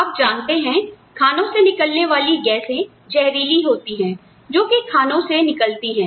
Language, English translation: Hindi, Because, the gases are toxic, you know, the gases, emanating from the mines are toxic